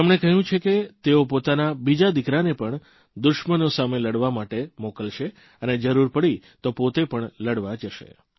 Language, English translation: Gujarati, He has expressed the wish of sending his second son too, to take on the enemy; if need be, he himself would go and fight